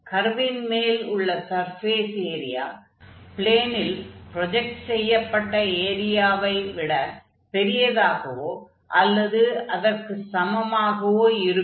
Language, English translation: Tamil, Always the surface area of a curve, of a surface is going to be more or equal than the projected one in one of the coordinate planes